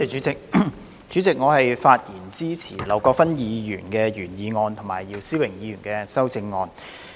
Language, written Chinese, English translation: Cantonese, 主席，我發言支持劉國勳議員的原議案及姚思榮議員的修正案。, President I speak in support of Mr LAU Kwok - fans original motion and Mr YIU Si - wings amendment